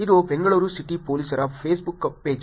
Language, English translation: Kannada, This is a Facebook page of Bangalore City Police